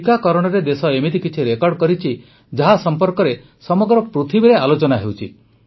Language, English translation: Odia, With regards to Vaccination, the country has made many such records which are being talked about the world over